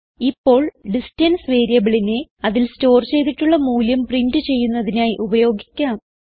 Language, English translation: Malayalam, Now we shall use the variable distance to print the value stored in it